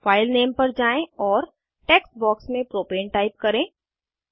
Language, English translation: Hindi, Go to the File Name and type Propane in the text box